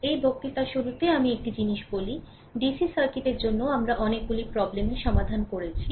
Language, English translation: Bengali, So, just beginning of this lecture let me tell you one thing, that for DC circuit we will so, we are solving so many problems